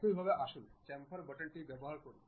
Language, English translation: Bengali, Similarly, let us use Chamfer button